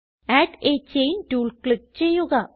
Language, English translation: Malayalam, Click on Add a chain tool